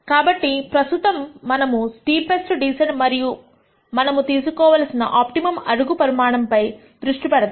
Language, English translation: Telugu, So, let us now, focus on the steepest descent and the optimum step size that we need to take